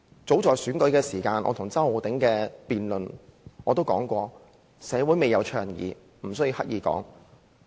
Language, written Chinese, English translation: Cantonese, 早在選舉期間，我與周浩鼎議員辯論時已指出社會未有倡議此事，無須刻意提及。, As early as the time of election I pointed out in a debate with Mr Holden CHOW that society had not advocated the issue so it was unnecessary to bring it up deliberately